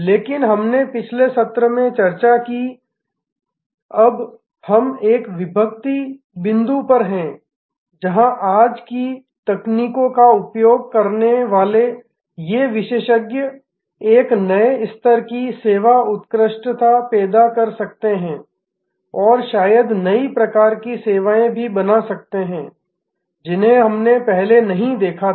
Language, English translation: Hindi, But, we discussed in the last session that we are now at an inflection point, where these experts using today's technologies can create a new level of service excellence and can perhaps create new types of services, which we had not seen before